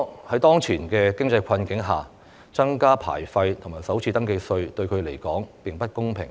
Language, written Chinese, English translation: Cantonese, 在當前經濟困境下，增加牌費及首次登記稅對他們來說並不公平。, In view of the prevailing economic difficulties increasing the licence fees and FRT is unfair to them